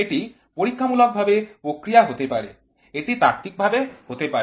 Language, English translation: Bengali, This can be experimentally response, this can be theory